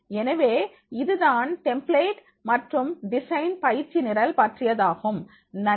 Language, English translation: Tamil, So, this is all about the template and design training program